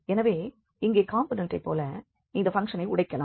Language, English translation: Tamil, So, here we can break this function as in the component